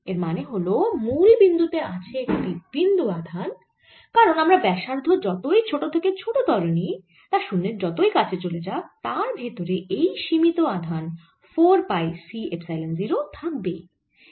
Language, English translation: Bengali, what it means is that there is a point charge at the origin because even if i make the radius goes smaller and smaller in the limit going to zero, it still encloses a finite charge: four pi c epsilon zero